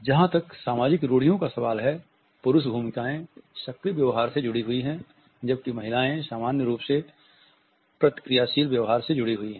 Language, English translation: Hindi, As far as social stereotypes are concerned, male roles are associated with proactive behavior, whereas women are normally associated with reactive behaviors